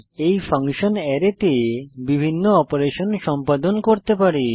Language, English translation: Bengali, These functions can perform various operations on an Array